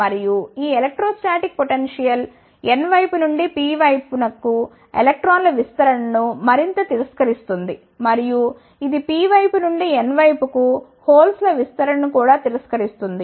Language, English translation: Telugu, And, this electrostatic potential, further refuses the diffusion of electrons from the N side to the P side and it also refuses the diffusion of holes from the P side to the N side